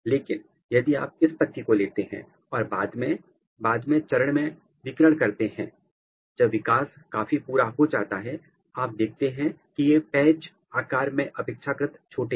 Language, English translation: Hindi, But, if you take this leaf and irradiate at the later stage when the development is quite bit completed then you see that these patches are relatively smaller in size